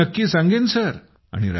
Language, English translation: Marathi, Yes, absolutely Sir